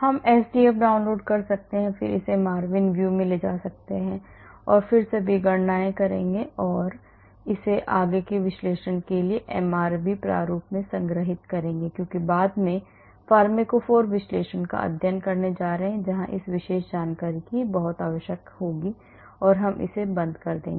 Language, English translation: Hindi, We can download sdf and then take it to MARVIN view and then do all the calculations and store it in MRV format for further analysis because later on we are going to study pharmacophore analysis where this particular information will be very very essential and we will close this